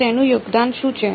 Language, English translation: Gujarati, So, what is its contribution